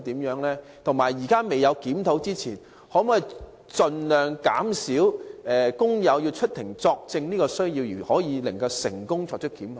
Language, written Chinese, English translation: Cantonese, 在現時檢討未完成之前，當局可否盡可能在豁免工友出庭作證的情況下，仍能成功作出檢控？, Pending the completion of the review can the authorities still make successful prosecutions as far as practicable without requiring workers to appear in court as witnesses?